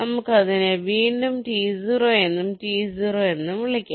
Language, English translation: Malayalam, lets again call it t zero and t zero